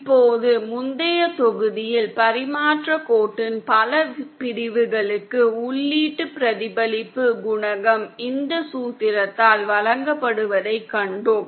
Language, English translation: Tamil, Now in the previous module we have seen that for multiple sections of transmission line the input reflection coefficient is also given by this formula